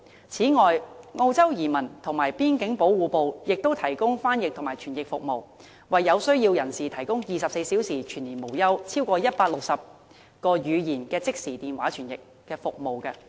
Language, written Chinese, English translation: Cantonese, 此外，澳洲移民及邊境保護部亦提供翻譯及傳譯服務，為有需要人士提供24小時全年無休，超過160種語言的即時電話傳譯服務。, Additionally the Australian Government Department of Immigration and Border Protection provides round - the - clock translation and interpretation service to people in need throughout the year and renders instant telephone service in more than 160 languages